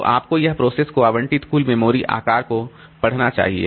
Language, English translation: Hindi, So you should read it as total memory size allocated to the process